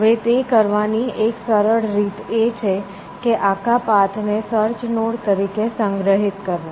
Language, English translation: Gujarati, Now, one simple way of doing that, is to store the entire path as the search nodes essentially